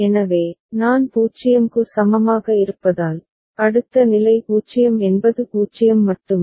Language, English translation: Tamil, So, for I is equal to 0, the next state is state a only that is 0 0